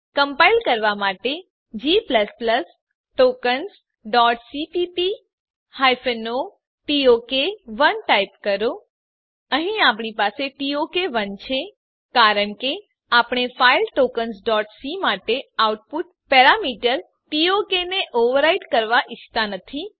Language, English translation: Gujarati, To compile , type g++ space tokens dot cpp space hyphen o space tok 1 Here we have tok1 because we dont want to overwrite the output parameter tok for the file tokens.c Now press Enter To execute.Type ./tok1